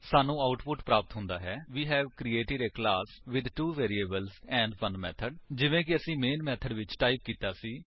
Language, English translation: Punjabi, We get the output as#160: We have created a class with 2 variables and 1 method, just as we had typed in the main method